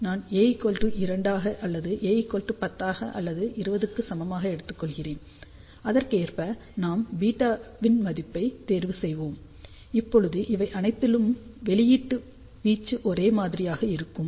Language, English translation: Tamil, So, let us say if I start A equal to 2 or I start with A equal to 10 or maybe a equal to 20 correspondingly we can choose the value of beta, will the output amplitude be same in all these cases